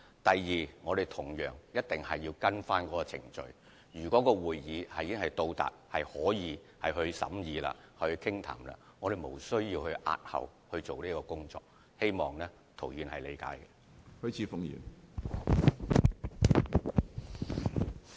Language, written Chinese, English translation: Cantonese, 第二，我們同樣會按程序行事，即如果申請已經到達可以交由大會審議的階段，便無須押後有關工作，希望涂議員理解。, Besides we will act by the book meaning that if an application can be referred to the general meeting for consideration there should be no delay . I hope Mr TO will understand